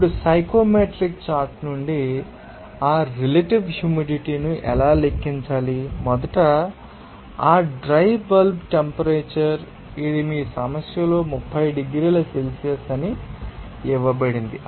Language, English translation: Telugu, Now, how to calculate that or how to read that relative humidity from the psychometric chart, first of all, you know that dry bulb temperature, it is given in your problem that it is 30 degrees Celsius